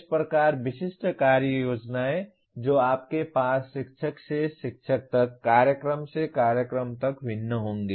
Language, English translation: Hindi, That is how the specific action plans that you have will differ from teacher to teacher from program to program